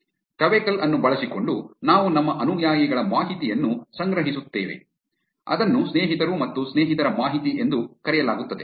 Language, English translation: Kannada, Using twecoll, we will collect our followees information which is also called friends and friends of friends information